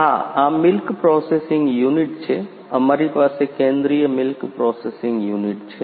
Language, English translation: Gujarati, Yeah, this is milk processing unit; we have a centralised milk processing unit